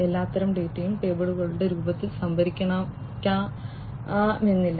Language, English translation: Malayalam, And not that all kinds of data could be stored in the form of tables